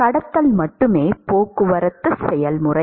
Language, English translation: Tamil, Conduction is the only transport process